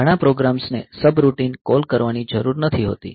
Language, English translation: Gujarati, So, some many programs may not need to call a subroutine